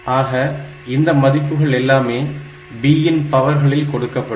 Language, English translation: Tamil, So, and these values are given by the powers of b like